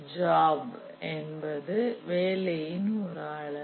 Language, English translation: Tamil, A job is a unit of work